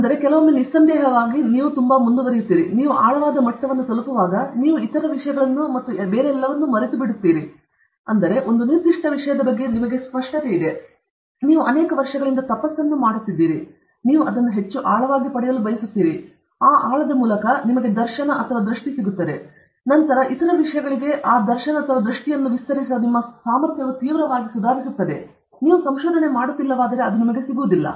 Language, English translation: Kannada, So, sometimes, you have a doubt when you proceed so much, when you getting so much of depth, will you not forget other things and all that, but the whole approach is you get so much depth that your clarity about a particular thing, you keep doing a tapas on that for many years, you are getting so much depth into that, but through that depth, the darshan or vision comes, then your ability to expand to other things radically improves, which you will not get if you just stop with… if you are not doing research